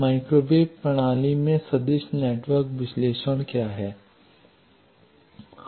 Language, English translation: Hindi, What is vector network analysis in microwave system